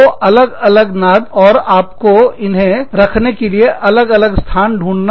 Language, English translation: Hindi, Two drums, separate, and you would find different places, to put them in